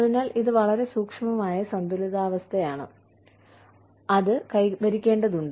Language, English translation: Malayalam, So, this is a very delicate balance, that needs to be achieved